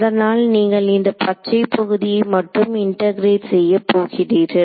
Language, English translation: Tamil, So, that you are integrating only over this green region right